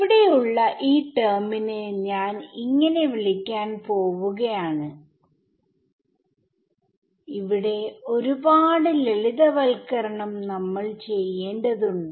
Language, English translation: Malayalam, So, I am going to call this term over here as another there are many many simplifications that we need to do